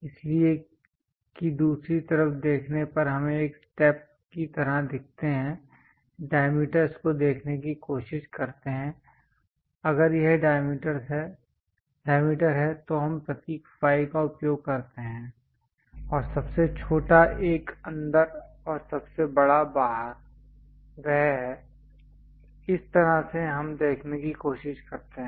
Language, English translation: Hindi, So, that on the other side of the view we look at like a step one, try to look at diameters if it is diameter we use symbol phi, and smallest one inside and the largest one outside that is the way we try to look at